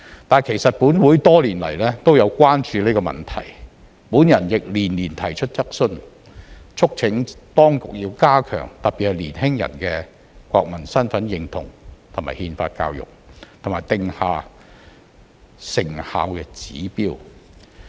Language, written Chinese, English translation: Cantonese, 但是，其實本會多年來也有關注這問題，我亦連年提出質詢，促請當局要加強特別是年輕人的國民身份認同和憲法教育，以及定下成效指標。, However in fact this Council has been concerned about this issue for many years . I have also raised questions year in year out urging the authorities to strengthen national identity and constitutional education especially for young people and set performance targets on this work